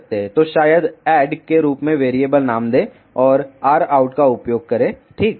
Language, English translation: Hindi, So, maybe give the variable name as add and use r out ok